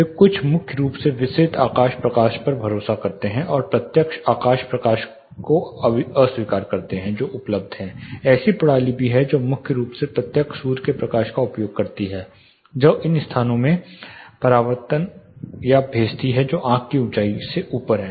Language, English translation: Hindi, (Refer Slide Time: 03:44) They primarily rely on diffuse skylight and reject the direct skylight which is available, there are also system that use primarily direct sunlight, which will reflect or send it into the locations which are above the eye height